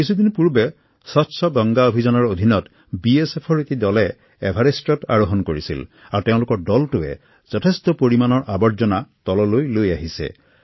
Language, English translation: Assamese, A few days ago, under the 'Clean Ganga Campaign', a group from the BSF Scaled the Everest and while returning, removed loads of trash littered there and brought it down